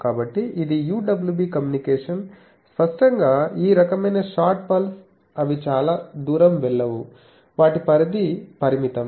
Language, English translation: Telugu, So, this is UWB communication, obviously these type of short pulses they do not go much distances their range is limited